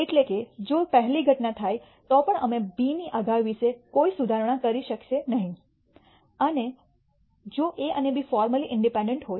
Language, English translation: Gujarati, That is, even if first event occurs we will not be able to make any improvement about the predictability of B if A and B are independent formally